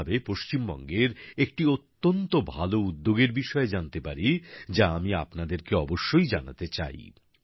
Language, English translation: Bengali, In this very context, I came to know about a very good initiative related to West Bengal, which, I would definitely like to share with you